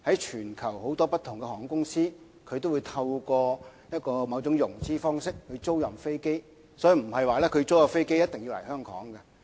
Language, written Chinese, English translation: Cantonese, 全球很多不同的航空公司也會透過某種融資方式租賃飛機，所以租出的飛機並不一定要來香港。, Many airlines worldwide will lease aircraft through certain means of financing so the leased aircraft do not necessarily have to fly to Hong Kong